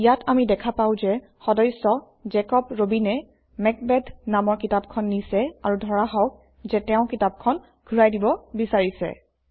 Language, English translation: Assamese, Here we see that the member Jacob Robin has borrowed the book Macbeth, and let us assume now that he is returning the book